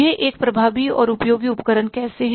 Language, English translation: Hindi, How it is a effective and useful tool